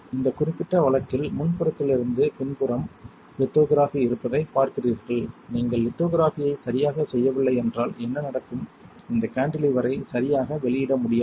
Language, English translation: Tamil, You see in this particular case there is a front to back lithography right, it should not see if you do not properly perform lithography what will happen that you cannot release this cantilever alright